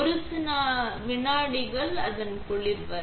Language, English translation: Tamil, Just a few seconds until its cold